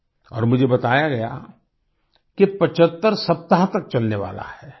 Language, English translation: Hindi, And I was told that is going to continue for 75 weeks